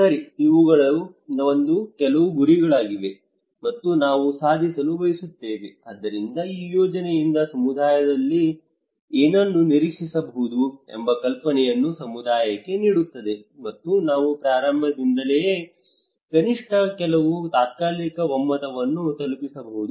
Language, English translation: Kannada, Okay these are some of our goal, and that we would like to achieve so this will give the community an idea that what they can expect from this project and we can reach to a consensus in the very beginning at least some tentative consensus that okay